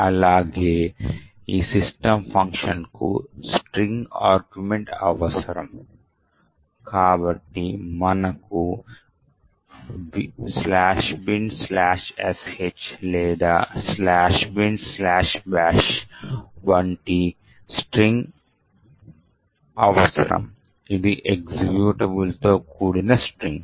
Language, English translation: Telugu, Also what is required is a string argument to this system function, so we will require string such as /bin/sh or /bin/bash, which is a string comprising of an executable